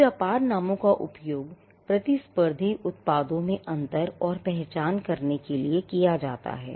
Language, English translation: Hindi, So, trade names are used to distinguish and to identify competing products